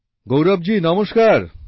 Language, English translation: Bengali, Gaurav ji Namaste